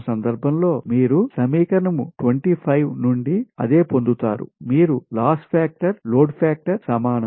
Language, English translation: Telugu, so from this two condition, from this two condition, you will get that loss factor is equal to load factor square